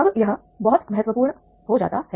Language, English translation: Hindi, Now, this becomes very important